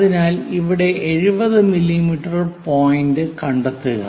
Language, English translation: Malayalam, So, locate 70 mm point here so this is the focus point